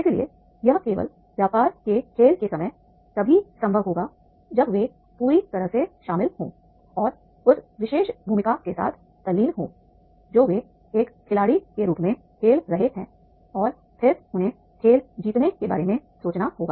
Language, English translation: Hindi, So, therefore at the time of the business game, these will be possible only that is the they get totally involved and engross with that particular role which they are playing as a player and then they have to think of the winning the game